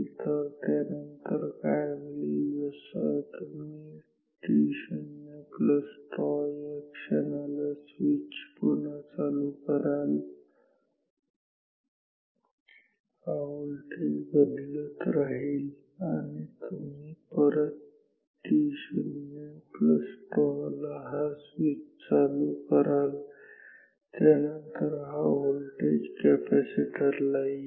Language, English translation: Marathi, So, then what happens no you close this switch again at t naught plus tau, this voltage is changing this voltage is continuously changing and you are closing this switch once again at t naught plus tau, then this voltage will come immediately to this capacitor